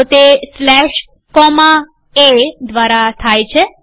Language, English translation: Gujarati, So, it is done by, slash comma A